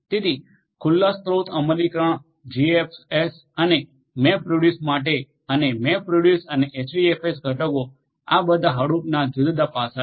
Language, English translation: Gujarati, So, open source implementation for GFS and MapReduce and MapReduce and HDFS components, these are all the different aspects of Hadoop